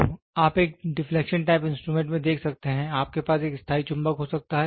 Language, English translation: Hindi, So, you can see in a deflection type instruments, you can have a permanent magnets